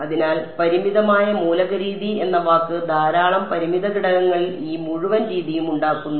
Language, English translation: Malayalam, So, that is how hence the word finite element method lots on lots of finite elements make up this whole method